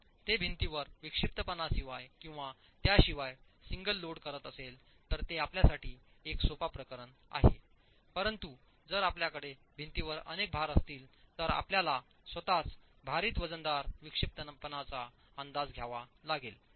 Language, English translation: Marathi, If it is a single load acting on the wall with or without eccentricity, that's a simple case for you, but if you have multiple loads acting on the wall, then you'll have to make an estimate of a weighted eccentricity of the load itself